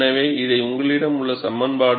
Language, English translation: Tamil, So, this is the equation that you have